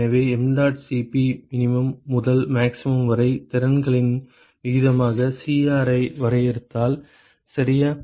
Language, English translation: Tamil, So, if I define Cr as the ratio of the capacities mdot Cp min to max, ok